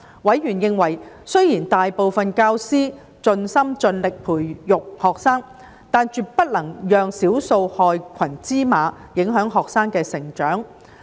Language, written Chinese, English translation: Cantonese, 委員認為，雖然大部分教師盡心盡力培育學生，但絕不能讓少數害群之馬影響學生的成長。, Members held the view that although the majority of teachers were dedicated to nurturing their students by no means could those few black sheep be allowed to affect students growth